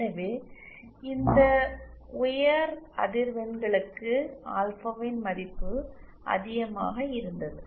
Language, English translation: Tamil, So for these high frequencies the value of alpha was high